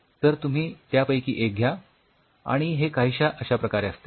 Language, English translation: Marathi, So, you just take one of them and it something like this they have a quick